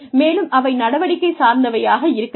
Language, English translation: Tamil, And, they should be action oriented